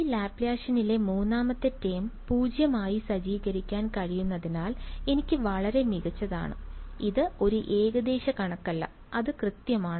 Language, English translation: Malayalam, And as great for me because this guy the third term in this Laplacian can be set to 0; it is not an approximation it is exact right